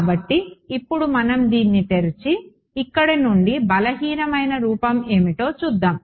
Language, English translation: Telugu, So, now, let us let us open this up and see what the weak form is obtained from here